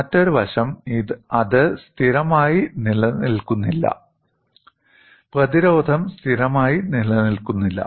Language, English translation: Malayalam, Another aspect is, it does not remain constant; the resistance does not remain constant